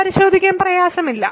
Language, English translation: Malayalam, It is not difficult to check